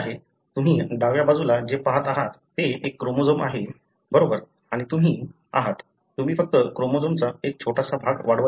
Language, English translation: Marathi, So, what you are looking at on the left side is a chromosome, right and you are, you are just amplifying a small segment of the chromosome